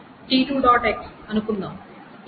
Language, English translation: Telugu, x is equal to t4